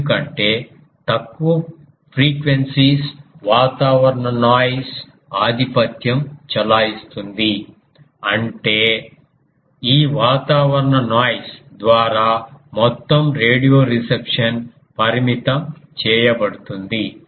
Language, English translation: Telugu, Because the reason is that low frequencies atmospheric noise is dominates; that means, the whole ah radio deception that is limited by this atmospheric noise